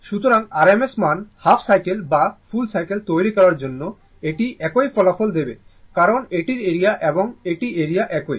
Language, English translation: Bengali, So, if for making your RMS value, half cycle or full cycle it will give the same result because area of this one and area of this one is same